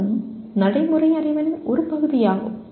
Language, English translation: Tamil, That is also part of procedural knowledge